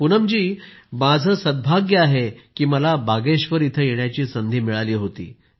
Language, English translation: Marathi, Poonam ji, I am fortunate to have got an opportunity to come to Bageshwar